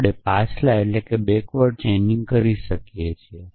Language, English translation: Gujarati, So, can we do backward chaining